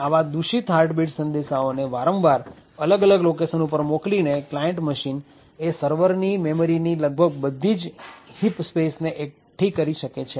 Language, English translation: Gujarati, By repeatedly creating such malicious heartbeat packets over a period of locations the client machine would able to glean almost the entire heaps space of the server